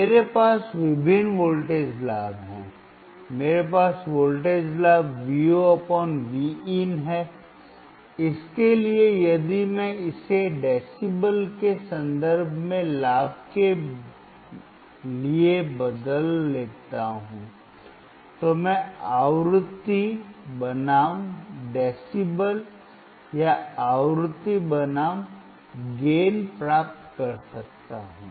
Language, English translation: Hindi, I have different voltage gain, I have voltage gain Vo / Vin, for that if I change it to gain in terms of decibels, I can plot frequency versus decibel or frequency versus gain